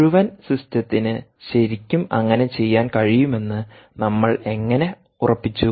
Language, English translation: Malayalam, how did we ensure that the whole system really um was ah able to